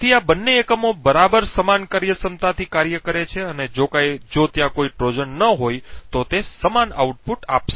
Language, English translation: Gujarati, So, both this units perform exactly the same functionality and if there is no Trojan that is present would give the same output